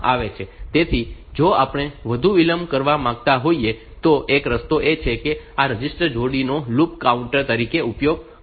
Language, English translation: Gujarati, So, to if we want more delay if we want more delay, then one way out is to use this register pair as a loop counter